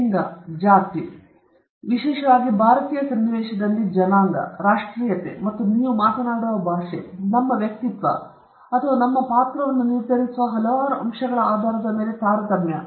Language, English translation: Kannada, Discrimination on the basis of gender, caste particularly in the Indian context, race, nationality, and the language you speak, and several other factors which decide our personality or our character